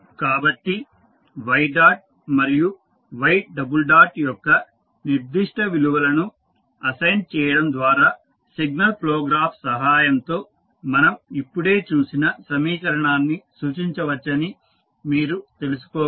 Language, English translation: Telugu, So, with the help of assigning the particular values of y dot and y double dot you can simply find out that the equation which we just saw can be represented with the help of signal flow graph